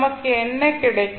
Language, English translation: Tamil, So what we get